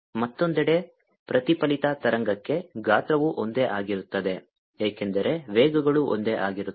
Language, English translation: Kannada, on the other hand, for the reflected wave, the size is going to be the same because the velocities are the same